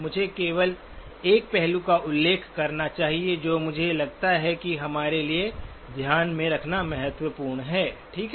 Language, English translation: Hindi, Let me just mention one aspect that I think is important for us to keep in mind, okay